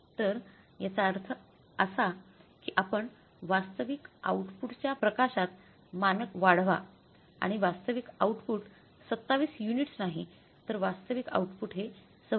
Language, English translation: Marathi, 5 so it means you upscale the standard in the light of the actual output and actual output is not 27 units actual output is 26